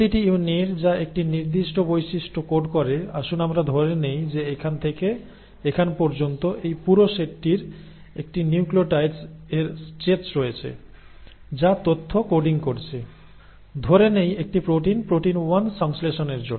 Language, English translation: Bengali, Each unit which codes for a particular trait, let us say this entire set from here to here has a stretch of nucleotides which are coding information, let us say, for synthesis of a protein, protein 1